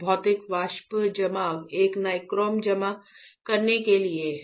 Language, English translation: Hindi, Physical vapor deposition this is for depositing nichrome right